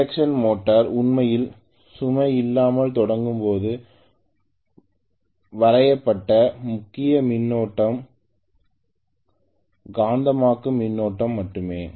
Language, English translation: Tamil, Because induction motor we also said when it is actually starting off on no load the major current drawn is only magnetizing current